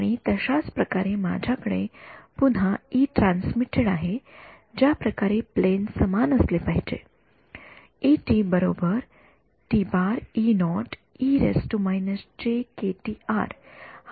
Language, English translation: Marathi, And then similarly I have a E transmitted again the way the plane should be the same, this is the transmitted wave